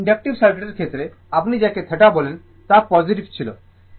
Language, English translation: Bengali, In the case of inductive circuit, it was your what you call theta was positive